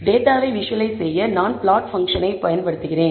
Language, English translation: Tamil, So, to visualize the data I use the plot function